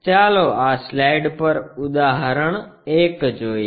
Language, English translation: Gujarati, Let us look at an example 1 on this slide